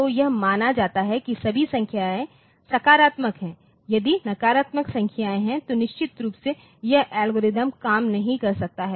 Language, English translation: Hindi, So, it is assumed that all the numbers are positive if there are negative numbers then of course, this algorithm may not work